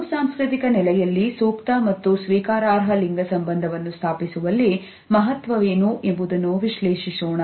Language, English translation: Kannada, We would also analyze what is the significance of haptics in establishing appropriate and acceptable gender relationship in a multicultural setting